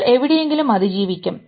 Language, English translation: Malayalam, You will be surviving somewhere